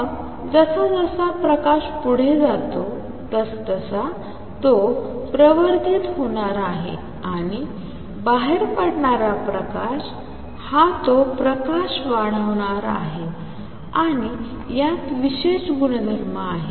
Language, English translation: Marathi, Then as light goes back and forth it is going to be amplified and the light which comes out is going to be that amplified light and these have special properties